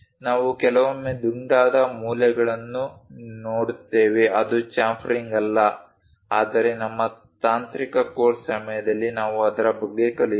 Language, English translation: Kannada, We see sometimes rounded corners also that is not chamfering, but we will learn about that during our technical course